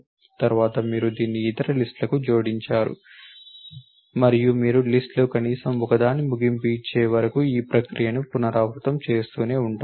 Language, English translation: Telugu, Then you appended it to other lists and you keep on to repeating this process until you come to the end of at least one of the list